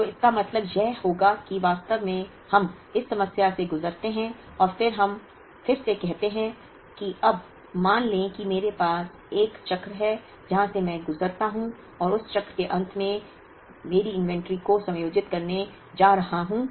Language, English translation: Hindi, So, this would mean that, we actually go through we look at this problem all over again and then say that, now let us assume I have 1 cycle where I go through and at the end of that cycle I am going to adjust the inventory levels, I am going to keep the 1400 constant